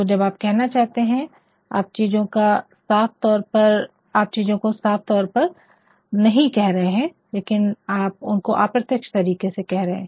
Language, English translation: Hindi, So, you are saying things, but you are saying things in a very indirect manner